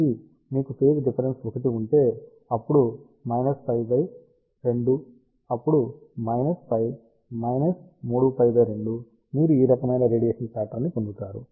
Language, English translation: Telugu, So, if you have phase difference of 1, then minus pi by 2 then minus pi minus 3 pi by 2 you will get this kind of a radiation pattern